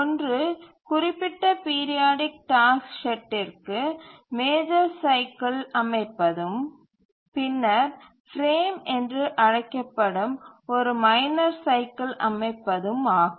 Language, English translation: Tamil, One is to set the major cycle for set a periodic task and then also to set the minor cycle which is also called as a frame